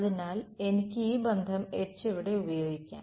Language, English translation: Malayalam, So, I can use this relation over here H is